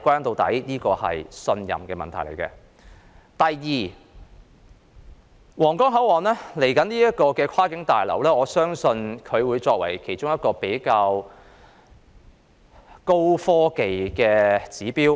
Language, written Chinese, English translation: Cantonese, 第二，我相信將來的皇崗口岸跨境旅檢大樓會作為一個高科技指標。, Second I believe the cross - boundary passenger clearance building at Huanggang Port will serve as an indicator for high technology